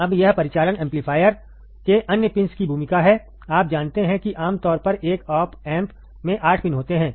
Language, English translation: Hindi, Now, this is the role of the other pins of the operational amplifier, you know that commonly 8 pins in an op amp